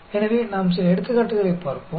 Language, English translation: Tamil, So, we will look at some examples